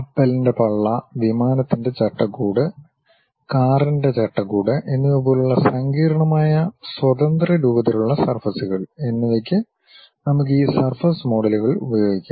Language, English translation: Malayalam, Even complex free formed surfaces like ship hulls, aeroplane fuselages and car bodies; we can use these surface models